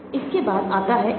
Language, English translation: Hindi, Then comes NNDO